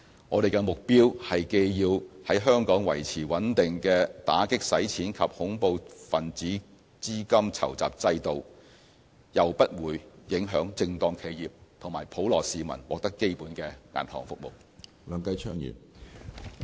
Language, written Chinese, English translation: Cantonese, 我們的目標是既要在香港維持穩定的打擊洗錢及恐怖分子資金籌集制度，又不會影響正當企業及普羅市民獲得基本銀行服務。, Our aim is to maintain a robust anti - money laundering and counter - terrorist financing regime in Hong Kong which does not hinder access by legitimate businesses and members of the general public to basic banking services